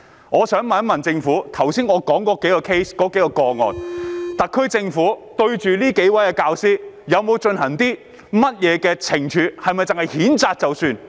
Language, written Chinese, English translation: Cantonese, 我想問局長，特區政府對於我剛才所說這數個 case 的教師，有否作出懲處，抑或只是譴責便算？, I would like to ask the Secretary will the SAR Government impose any penalty on the teachers in those several cases that I have mentioned just now or will it merely reprimand them and that is all?